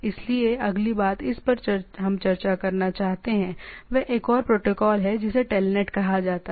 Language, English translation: Hindi, So, the next thing what we want to discuss is that another protocol which is called TELNET